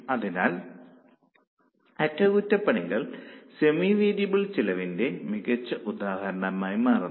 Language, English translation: Malayalam, So, maintenance becomes a very good example of semi variable costs